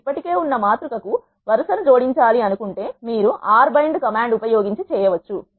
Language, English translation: Telugu, If you want to add a row to the existing matrix you can do so by using R bind command